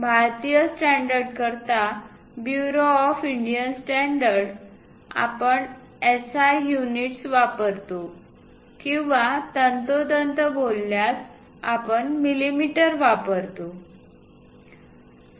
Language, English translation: Marathi, For Indian standards, Bureau of Indian standards we use SI units or precisely speaking we use millimeters